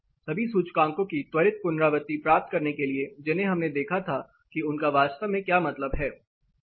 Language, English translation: Hindi, To get a quick recap of the indices that we looked at what they actually mean